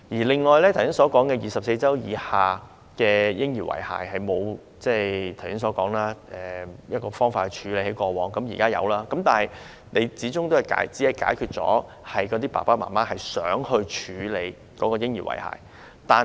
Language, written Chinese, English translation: Cantonese, 我剛才提到，過往受孕24周以下流產嬰兒的遺骸沒有方法妥善處理，現在終於有了，但始終只是幫助了想處理嬰兒遺骸的父母。, As I mentioned earlier the remains of abortuses of less than 24 weeks gestation in the past could not be properly handled . Eventually they can be handled now but that can help only those parents who want to deal with the remains of their abortuses